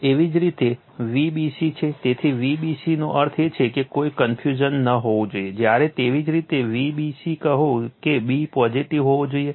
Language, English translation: Gujarati, Similarly, V b c right; So, V b c means there should not be any confusion, when you say V b c that b should be positive